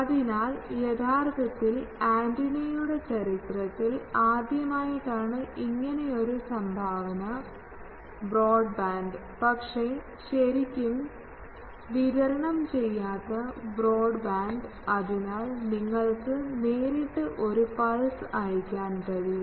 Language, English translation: Malayalam, So, that actually was the first in the history of antenna that made this contribution that broadband, but really non dispersive broadband, so that you can send a pulse directly through that